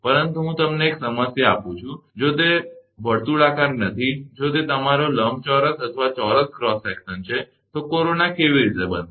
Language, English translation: Gujarati, But I give you a problem that, if it is not circular, if it is your rectangular or square cross section, then how the corona will be form